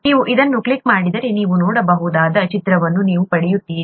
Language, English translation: Kannada, If you click on this, you will get an image that you could see